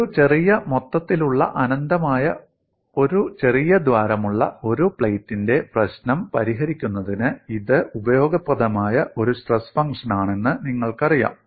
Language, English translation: Malayalam, You know this is a useful stress function to solve the problem of a plate with a small whole, infinite plate with a small hole